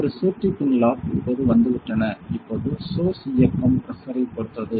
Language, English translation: Tamil, So, on a safety pin locks have come on now source enable is depending on the pressure